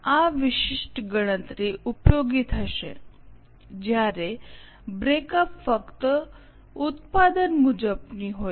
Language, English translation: Gujarati, This particular calculation will be useful when breakup is only product wise